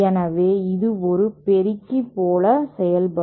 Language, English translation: Tamil, So, this will act like an amplifier